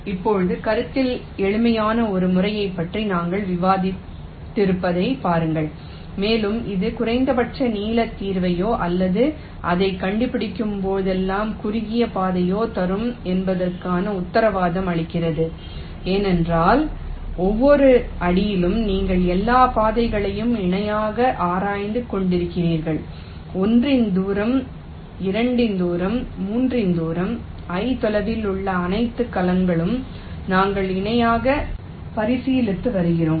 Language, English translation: Tamil, now, see, we have ah discussed a method which is simple in concept and also it guarantees that it will give you the minimum length solution or the shortest path whenever it can find one, because you are exploring all paths parallely at each step, ah, distance of one, distance of two, distance of three, all the cells which are at a distance of i we are considering in parallel